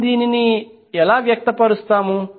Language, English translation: Telugu, How we will express that